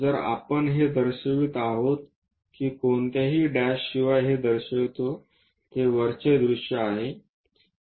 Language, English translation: Marathi, If we are showing that without any’s dashes it indicates that it is a top view